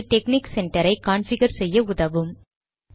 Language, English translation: Tamil, It helps you on how to configure texnic center